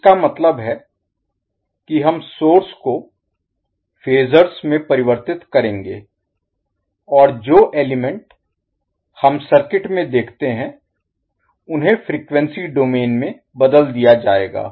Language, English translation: Hindi, That means we will convert the sources into phasor and the elements which we see in the circuit will be converted into the frequency domain